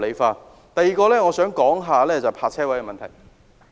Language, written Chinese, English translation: Cantonese, 此外，我想說說泊車位的問題。, Next I would like to talk about the problems of parking spaces